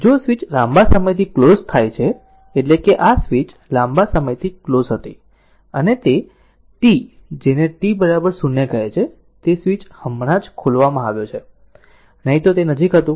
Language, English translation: Gujarati, If the switch is closed for long time means, this switch was closed for long time right and that t your what you call t is equal to 0, the switch is just opened otherwise it was close